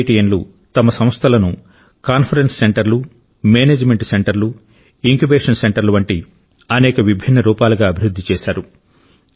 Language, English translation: Telugu, IITians have provided their institutions many facilities like Conference Centres, Management Centres& Incubation Centres set up by their efforts